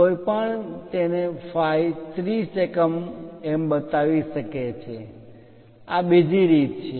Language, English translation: Gujarati, One can also show it in terms of phi 30 units this is another way